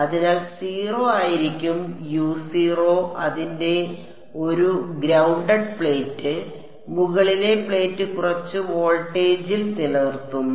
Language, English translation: Malayalam, So, U of 0 is going to be 0 its a grounded plate and the upper plate is maintained at some voltage V naught